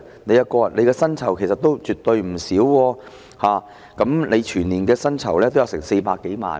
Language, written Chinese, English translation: Cantonese, 局長的薪酬其實絕對不少，全年薪酬高達400多萬元。, In fact the Secretarys remuneration is definitely handsome amounting to more than 4 million annually